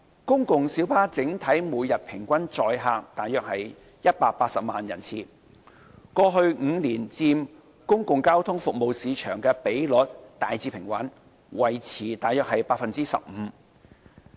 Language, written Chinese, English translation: Cantonese, 公共小巴整體每天平均載客約180萬人次，過去5年佔公共交通服務市場的比率大致平穩，維持約 15%。, The average daily total PLB patronage is approximately 1.8 million passenger trips which corresponds to a generally stable share of around 15 % of the public transport market over the past five years